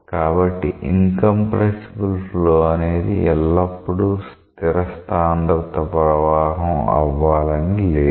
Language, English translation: Telugu, So, incompressible flow need not always be a constant density flow